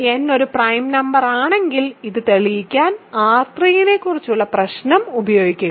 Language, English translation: Malayalam, If n is a prime number, use the problem about R 3 to prove this